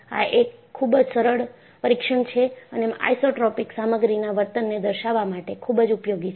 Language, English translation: Gujarati, This is a very simple test and useful to characterize an isotropic material behavior